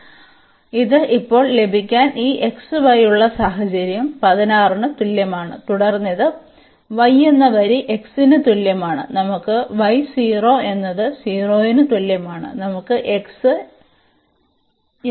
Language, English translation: Malayalam, So, to have this now this is the situation we have this xy is equal to 16 and then this is the line y is equal to x, we have y is equal to 0 and we have x is equal to 8